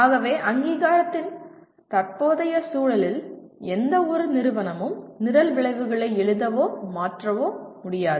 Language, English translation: Tamil, So no institution as of in the current context of accreditation has choice of writing or changing the program outcomes